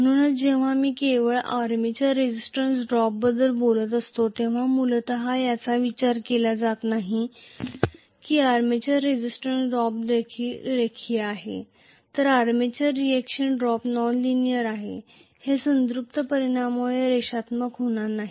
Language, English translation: Marathi, so this essentially is not considered when I am talking only about the armature resistance drop, armature resistance drop is linear whereas armature reaction drop is nonlinear, it will not be linear because of the saturation effect